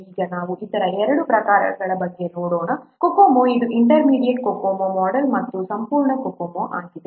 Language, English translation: Kannada, Now let's take about other two types of cocoa, that is intermediate cocomo and complete cocoa